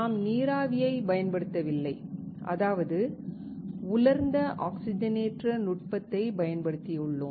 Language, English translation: Tamil, We have not used water vapor; that means, we have used a dry oxidation technique